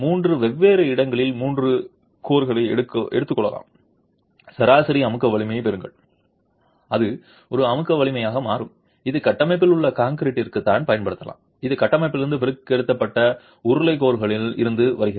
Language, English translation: Tamil, Possibly take three cores at three different locations, get an average compressive strength and that becomes a compressive strength that I can use for the concrete in the structure and this is coming from the cylindrical cores extracted from the structure